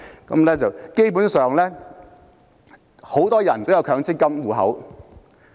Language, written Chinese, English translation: Cantonese, 基本上，很多人也有強積金戶口。, Basically lots of people have MPF accounts